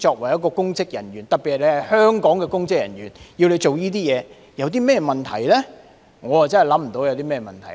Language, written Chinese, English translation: Cantonese, 我真的想不到，作為香港的公職人員，做這些事情有何問題。, I really do not see any problem for public officers in Hong Kong to do these things